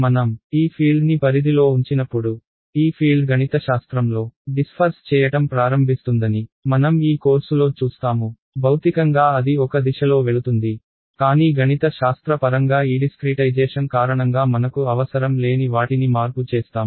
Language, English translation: Telugu, And when I propagate this field, we will see in this course that that field begins to mathematically disperse,; physically its going in one direction, but mathematically because of this discretization it begins to disperse which we do not want